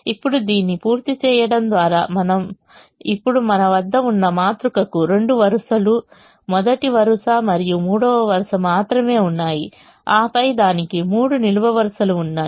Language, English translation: Telugu, now the remaining part of this matrix has only the first row remaining, only the first row remaining, and it has two columns remaining